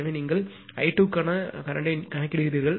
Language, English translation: Tamil, So, then you compute the current for i 2